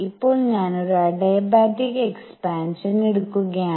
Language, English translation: Malayalam, Now I am taking an adiabatic expansion